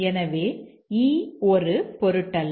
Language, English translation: Tamil, And therefore, e does not matter